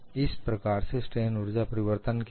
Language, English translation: Hindi, So, what is the change in strain energy